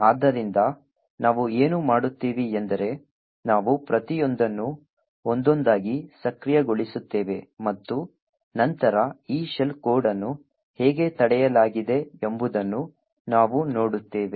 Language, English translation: Kannada, So, what we will do is that we will enable each of these one by one and then we will see how this shell code is prevented